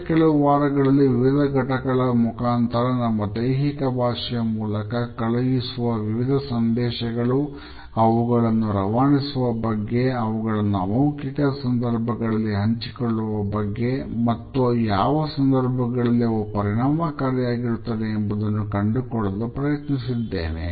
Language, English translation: Kannada, Over the weeks in different modules I have try to look at different messages which are communicated through our body language how we do send it; how they are shared in a nonverbal manner with others and under what circumstances their impact matters